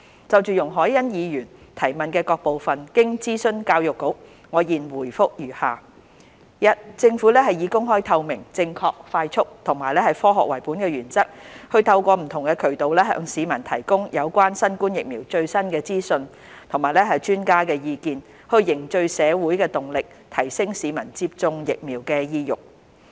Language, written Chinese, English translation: Cantonese, 就容海恩議員質詢的各部分，經諮詢教育局，我現答覆如下：一政府以公開透明、正確快速和科學為本的原則，透過不同渠道向市民提供有關新冠疫苗的最新資訊和專家的意見，以凝聚社會動力，提升市民接種疫苗的意欲。, In consultation with the Education Bureau my reply to the various parts of the question raised by Ms YUNG Hoi - yan is as follows 1 The Government has followed the principles of openness transparency accuracy and timeliness and adopted a science - based approach to provide members of the public with the latest information on COVID - 19 vaccines through different channels and made public the views of experts so as to build up social momentum and improve citizens willingness to get vaccinated